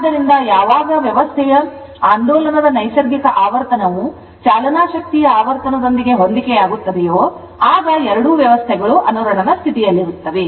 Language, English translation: Kannada, So, whenever the nat if the natural frequency of the oscillation of a system right if it coincide with the frequency of the driving force right then the 2 system resonance with respect to each other